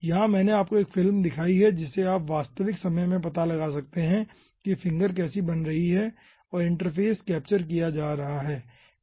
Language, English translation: Hindi, here i have shown you a movie which you can find out ah in real time how the finger is forming and interface is being captured